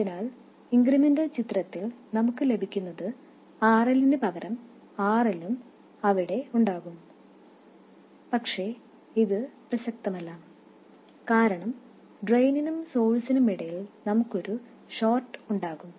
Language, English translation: Malayalam, So, in the incremental picture what we get will be instead of RL, RL will also be there but it is not relevant because we will have a short between drain and source